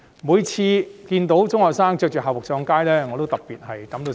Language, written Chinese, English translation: Cantonese, 我看見中學生身穿校服上街，感到特別痛心。, I was particularly saddened to see secondary students take to the streets wearing school uniforms